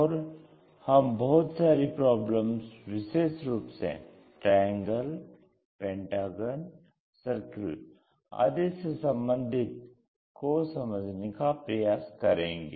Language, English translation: Hindi, And we are looking at different problems especially, the shapes like triangle, pentagon, circle this kind of things